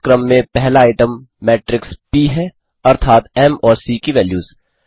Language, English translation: Hindi, The first item in this sequence, is the matrix p i.e., the values of m and c